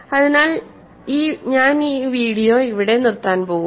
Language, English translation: Malayalam, So, I am going to stop this video here